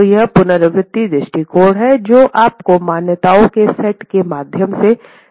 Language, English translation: Hindi, So, that's the iterative approach which is basically taking you through a set of assumptions